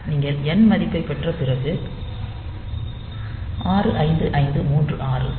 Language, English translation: Tamil, So, you just subtract 65536 n